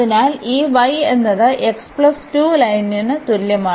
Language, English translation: Malayalam, So, here y is 1